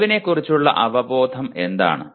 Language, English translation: Malayalam, What is awareness of knowledge